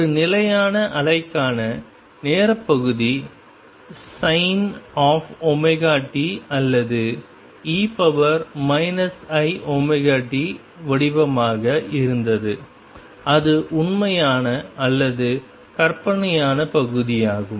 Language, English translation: Tamil, And time part for a stationary wave was of the form sin omega t or e raise to minus I omega t and take it is real or imaginary part